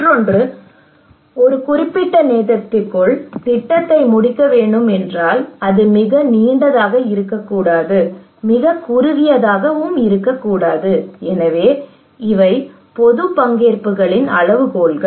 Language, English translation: Tamil, Another one is the time effective that if the project should be finished within a particular time, tt should not be too long, should not be too short, so these are the criterias of public participations